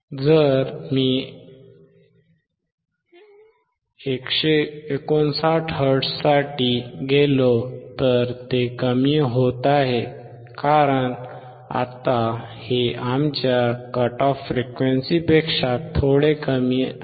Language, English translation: Marathi, If I go for 159 hertz, it is decreasing, because now this is slightly below our cut off frequency